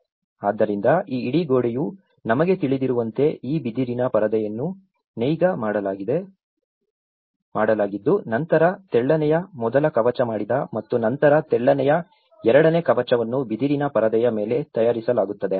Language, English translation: Kannada, So, then this whole wall like we know the rattle and daub sort of thing, so we have this bamboo screen, which has been weaven and then the first coat of slender has made and then the second coat of slender is made later on the bamboo screen